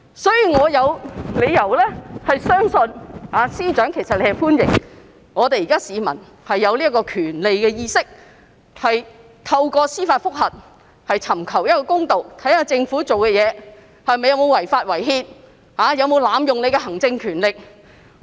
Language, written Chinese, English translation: Cantonese, 所以，我有理由相信司長其實是歡迎市民有對這項權利的意識，懂得透過司法覆核尋求公道，審視政府行事有否違法、違憲、濫用行政權力。, So I have every reason to believe that the Secretary actually welcomes the public having an awareness of this right and being able to use judicial review to seek justice and to examine whether the Government has acted in violation of the law and the constitution and abused its executive powers